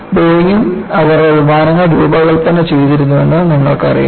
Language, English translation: Malayalam, Boeingwere also designing their planes